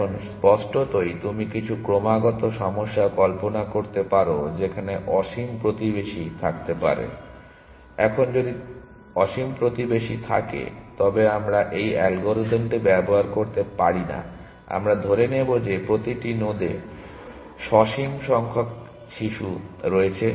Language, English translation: Bengali, Now obviously you can imagine some continuous problems, where there may be infinite neighbours; now, if there are infinite neighbours then we cannot use this algorithm we will assume that every node has the finite number of children